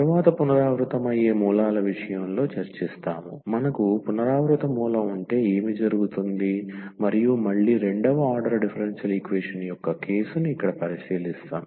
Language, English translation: Telugu, Next we will discuss the case of the repeated roots, that what will happen if we have the repeated root and again we will consider here the case of the second order differential equation